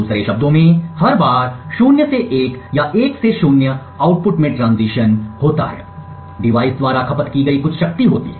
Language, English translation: Hindi, In other words, every time there is a transition in the output from 0 to 1 or 1 to 0, there is some power consumed by the device